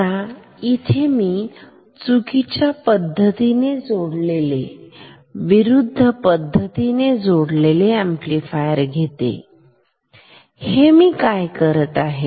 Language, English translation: Marathi, Now, I will draw wrongly connected oppositely connected amplifiers what; what I will do